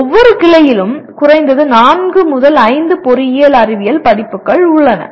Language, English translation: Tamil, Each branch has at least 4 5 engineering science courses